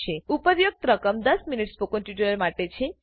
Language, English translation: Gujarati, The above amounts are for a ten minute spoken tutorial